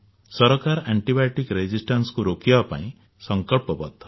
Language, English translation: Odia, The government is committed to prevent antibiotic resistance